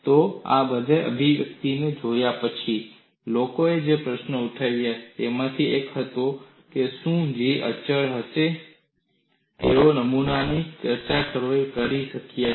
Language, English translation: Gujarati, So, one of the questions what people raised was after looking at this expression, is it possible to design a specimen which will have a constant G